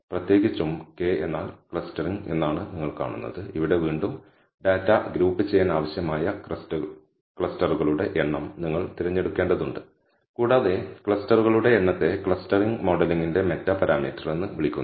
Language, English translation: Malayalam, In particular you will come across K means clustering and here again, you have to choose the number of clusters required to group the data and the number of clusters is called the meta parameter of the clustering modeling